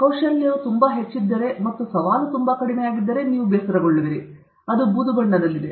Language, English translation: Kannada, If the skill is very high, if the skill is very high and the challenge is very low, you will feel bored; that is in the grey color